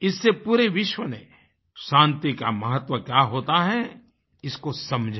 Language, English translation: Hindi, This made the whole world realize and understand the importance of peace